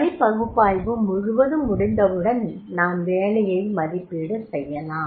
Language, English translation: Tamil, Once we know the job analysis then we can evaluate the job and that is a job evaluation